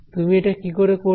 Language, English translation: Bengali, How would you do this